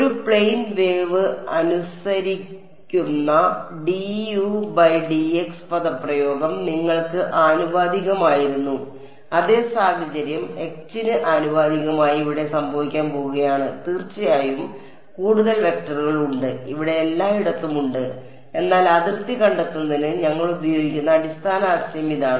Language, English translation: Malayalam, The expression obeyed by a plane wave d u by d x was proportional to u exactly the same situation is going to happen over here curl of H proportional to H of course, there are more vectors and all over here, but this is the basic idea that we will use to derive the boundary condition ok